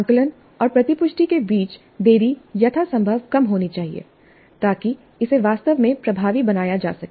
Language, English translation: Hindi, The delay between the assessment and feedback must be as small as possible to make it really effective